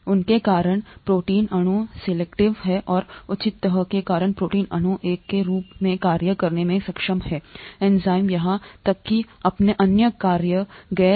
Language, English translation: Hindi, Because of that the protein molecule folds, and because of the proper folding the protein molecule is able to act as an enzyme or even carry out its other functions, non enzymatic functions and so on